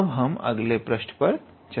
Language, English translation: Hindi, So, let us go into a new page